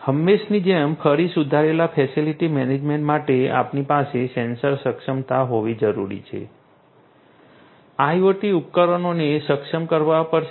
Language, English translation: Gujarati, For improved facility management again as usual we need to have sensor enablement right IoT devices will have to be enabled